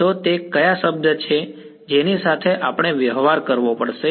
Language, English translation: Gujarati, So, what term is it that we have to deal with